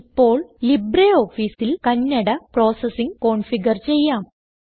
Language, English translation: Malayalam, Now we will configure Kannada processing in LibreOffice